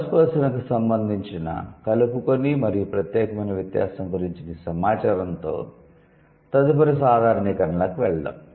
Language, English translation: Telugu, So, with this information about the inclusive and exclusive distinction in the first person, let's move to the next generalization